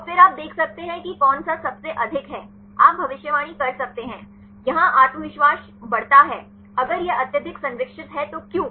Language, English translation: Hindi, And then you can see which one is the highest one; you can predict; here is the confidence increases, if it is highly conserved why